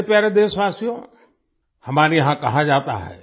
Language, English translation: Hindi, My dear countrymen, it is said here